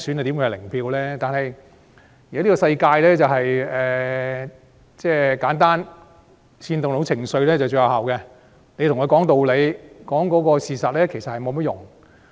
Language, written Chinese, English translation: Cantonese, 但在現今的世界，只要簡單、能煽動情緒便最有效，對他們說道理、講事實並沒有用。, But in the world nowadays it works best when something is simple and seditious . It is useless to talk to them logic or facts